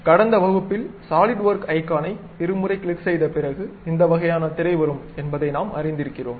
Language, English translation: Tamil, So, in the last class, we have learnt that after double clicking the Solidworks icon, we will end up with this kind of screen